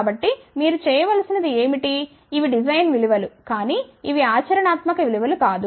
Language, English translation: Telugu, So, what you need to do then these are the design values, but these are not the practical value